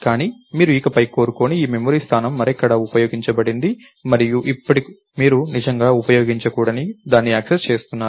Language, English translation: Telugu, memory location that you didn't want anymore got used up somewhere else and now you are actually accessing something that is not ah